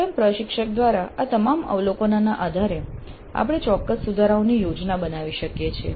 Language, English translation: Gujarati, So based on all these observations by the instructor herself we can plan specific improvements